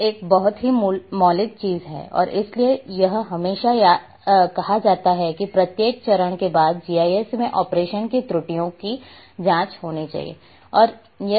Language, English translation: Hindi, And therefore it is always said that after each and every step in operation in GIS one should check for errors